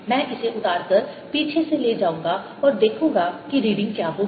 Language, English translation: Hindi, i'll take this off and take it from behind and see what the reading would be